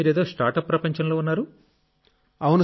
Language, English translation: Telugu, Ok tell me…You are in the startup world